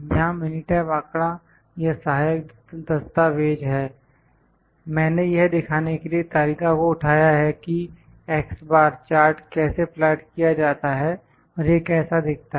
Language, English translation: Hindi, Minitab data the help files are there and I have just picked the chart to just show that how the x Bar chart is plotted, how it looks like